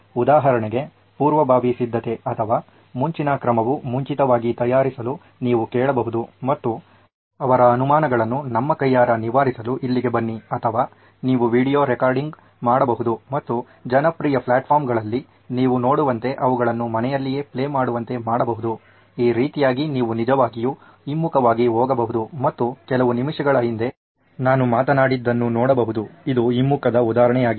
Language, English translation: Kannada, Like for example, the preparative at least or prior action you can actually ask them to prepare in advance and come here to clear their doubts in hand or you could do a video recording and make them play it at home like you see in popular platforms like, even like this you can actually slow down go reverse and see what I have spoken few minutes ago, this is also an example of reversal